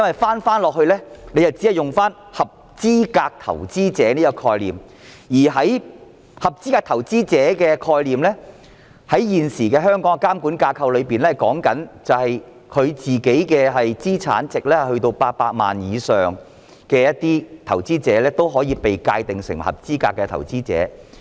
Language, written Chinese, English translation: Cantonese, 倒過來看，政府只利用了"合資格投資者"的概念，而這概念在香港現行的監管架構中訂明了個人資產值達到800萬以上的投資者，均可被界定成合資格投資者。, In retrospect the Government only adopts the concept of qualified investors that investors with the personal assets up to 8 million under the existing regulatory framework are all deemed qualified investors